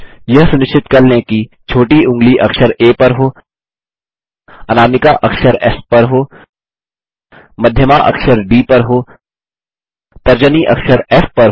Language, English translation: Hindi, Ensure that the little finger is on alphabet A Ring finger is on the alphabet S, Middle finger on alphabet D, Index finger on alphabet F